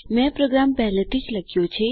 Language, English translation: Gujarati, I have already written the program